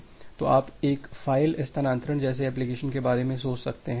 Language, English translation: Hindi, So, you can just think of an application like a file transfer